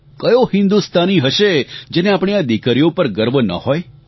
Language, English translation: Gujarati, Each and every Indian would be proud of these daughters